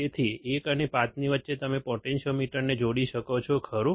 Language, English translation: Gujarati, So, between 1 and 5 you can connect the potentiometer, right